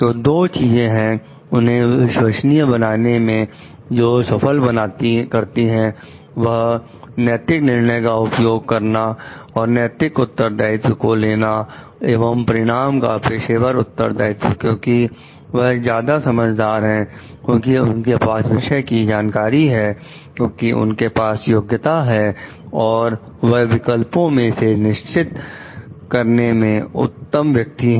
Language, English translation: Hindi, So, two things that qualify them to be trustworthy are exercising are exercising moral judgment and taking moral responsibility and professional responsibility of the outcomes because they are more knowledgeable; because they have the subject knowledge; because they have the competency and they are the best person to decide amongst the alternatives present